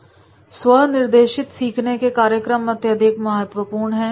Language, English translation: Hindi, Self directed learning programs are very, very important